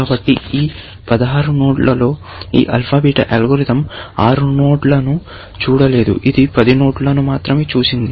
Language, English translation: Telugu, So, out of the 16 nodes, this alpha bit algorithm has not seen 6 nodes; it has seen only 10 nodes, essentially